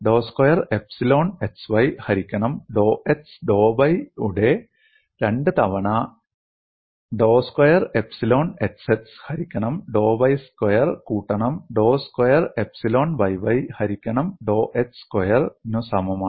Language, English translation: Malayalam, 2 times dou squared epsilon x y divided by dou x dou y equal to dou squared epsilon xx divided by dou y squared plus dou squared epsilon yy divided by dou x squared